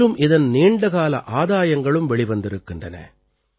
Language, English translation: Tamil, Its long term benefits have also come to the fore